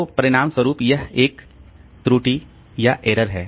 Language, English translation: Hindi, So, as a result, it's an error